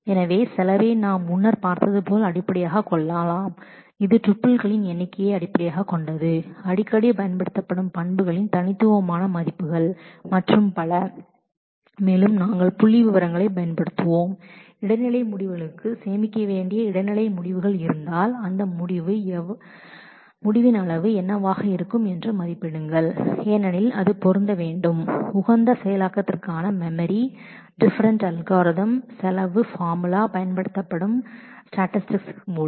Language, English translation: Tamil, So, the cost can be based on as we had seen earlier it could be based on number of tuples, number of distinct values frequently used attributes and so, on and we will use statistics for also intermediate results that if there are intermediate results to be stored we will make estimates of what would be the size of that result because it needs to fit into memory for optimal execution, the cost formula for different algorithms will also be used through statistics